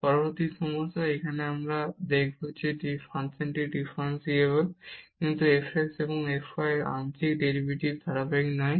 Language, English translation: Bengali, Next problem, here we will show that the function is differentiable, but f x and f y the partial derivatives are not continuous